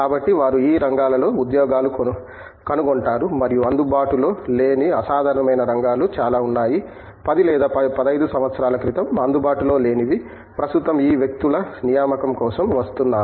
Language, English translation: Telugu, So, they do find jobs in these areas and there are lot of unconventional areas which were are not available letÕs say, 10 or 15 years ago are coming up with for hiring of these people